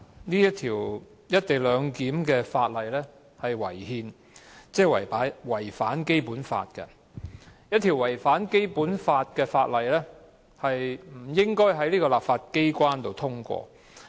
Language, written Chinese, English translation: Cantonese, 第一，《廣深港高鐵條例草案》違憲，即違反《基本法》。一項違反《基本法》的《條例草案》不應在立法機關通過。, Firstly the Guangzhou - Shenzhen - Hong Kong Express Rail Link Co - location Bill the Bill is unconstitutional meaning that it contravenes the Basic Law and the legislature should not pass a bill that contravenes the Basic Law